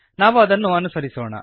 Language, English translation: Kannada, Let us go through it